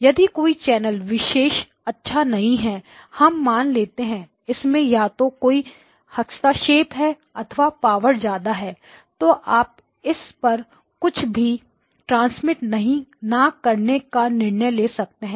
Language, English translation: Hindi, If one particular channel is not good let us say this channel was not good it had for some reason it had either interference or a lot of power, you can choose not to transmit anything on that